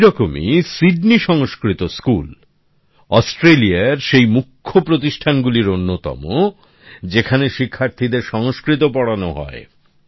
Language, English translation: Bengali, Likewise,Sydney Sanskrit School is one of Australia's premier institutions, where Sanskrit language is taught to the students